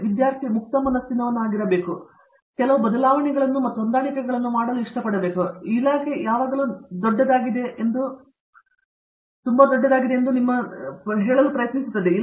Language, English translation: Kannada, So on is the student is open minded and willing to make some changes and adjustments and so on, the department is always you know to try to dispatch being so big